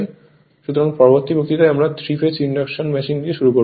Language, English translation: Bengali, So, next we will start for your what you call that 3 phase induction machine